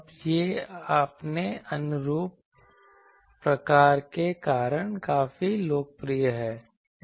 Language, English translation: Hindi, Now, it is quite popular because of its conformal type of thing